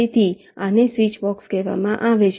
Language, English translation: Gujarati, so this is called a switchbox